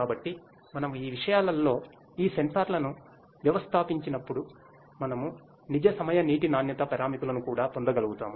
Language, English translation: Telugu, So, when we installed these sensors in these things; so, they we will be able to getting the real time water quality parameters as well